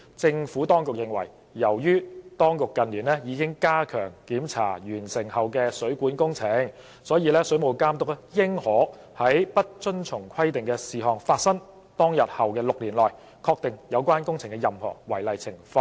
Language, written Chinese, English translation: Cantonese, 政府當局認為，由於當局近年已加強檢查完成後的水管工程，水務監督應可在不遵從規定的事項發生當日後的6年內，確定有關工程的任何違例情況。, The Administration considers that since it has in recent years stepped up inspection of completed plumbing works the Water Authority should be able to identify any non - compliance case in respect of such works within six years after the date on which the non - compliance was committed